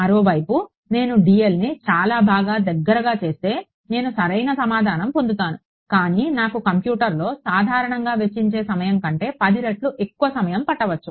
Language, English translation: Telugu, On the other hand, if I am make dl very very fine, I will get the correct answer, but it may take me 10 times more time on the computer, then I should have spent on it